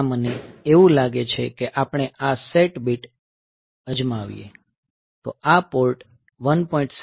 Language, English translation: Gujarati, So, there I do like first we try this set bit, so this Port 1